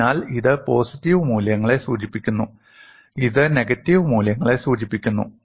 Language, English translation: Malayalam, You can draw it on the boundary, so this denotes positive values, this denote negative values